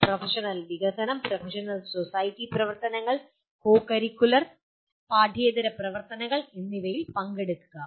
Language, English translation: Malayalam, Participate in professional development, professional society activities and co curricular and extra curricular activities